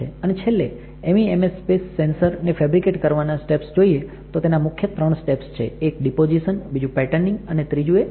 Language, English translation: Gujarati, And finally, the step for fabrication of MEMS space sensors there are three main steps one is deposition, second is patterning and third one is etching